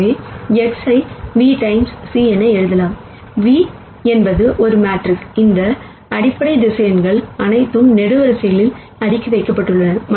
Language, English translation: Tamil, So, X hat can be written as v times c ; where v is a matrix where are all these basis vectors are stacked in columns